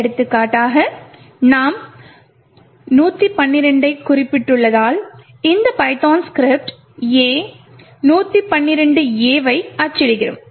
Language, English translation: Tamil, For example, over here since we have specified 112, so this particular python script would print A, 112 A’s